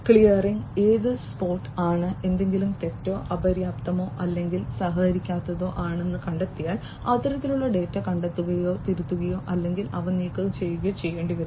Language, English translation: Malayalam, Clearing is spot, if there is something that is spotted to be incorrect, insufficient or uncooperative then that kind of data will have to be spotted, corrected or they have to be removed